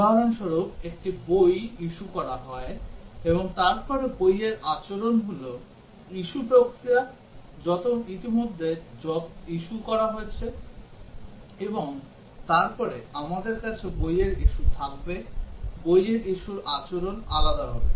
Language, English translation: Bengali, For example, a book is issued out and then the behaviour of the book is issue procedure already issued out, and then we will have the book issue, behaviour of the book issue will be different